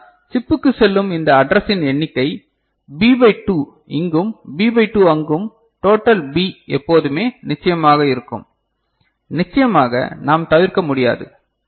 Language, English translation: Tamil, But, note that the number of this address will always be the going to the chip, will be of course, this you know B by 2 here and B by 2 there total B that is what will be required, that we cannot avoid of course, ok